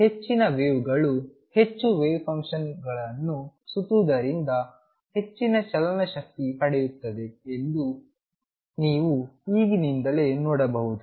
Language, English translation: Kannada, So, you can see right away that more wiggles more turning off the wave function around means higher kinetic energy